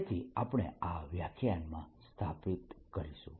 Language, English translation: Gujarati, so that is what we are going to establish in this lecture